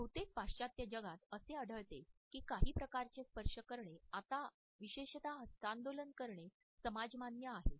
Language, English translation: Marathi, In most of the western world we find that some type of a touch has become permissible now particularly the handshake